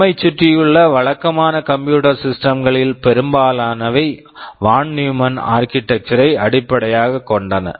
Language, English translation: Tamil, Most of the conventional computer systems that you see around us are based on Von Neumann architecture